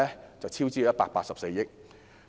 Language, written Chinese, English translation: Cantonese, 結果是超支184億元。, The result was that the cost overruns amounted to 18.4 billion